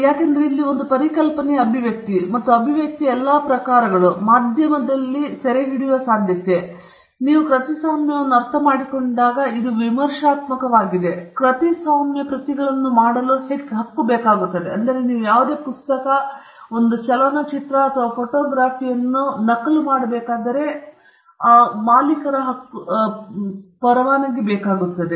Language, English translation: Kannada, Because, here is an expression of an idea, and all the forms of expression most likely which can be captured in a medium this is critical when you understand copyright, because copyright is the right to make copies